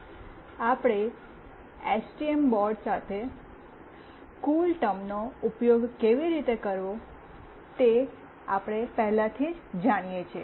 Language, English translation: Gujarati, We already know how we have to use CoolTerm with STM board